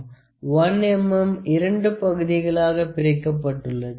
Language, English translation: Tamil, 5 mm; 1 mm is divided into two parts